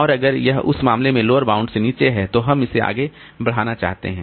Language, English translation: Hindi, And if it is below the lower bound in that case we want to push it up, okay